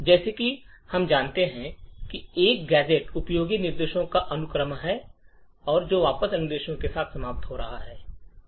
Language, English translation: Hindi, As we know a gadget is sequence of useful instructions which is ending with the return instruction